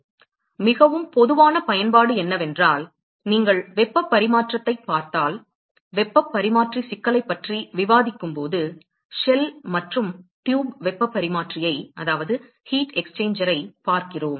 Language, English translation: Tamil, So, very common application is if you look at a heat exchanger we see shell and tube heat exchanger, when we discuss heat exchanger problem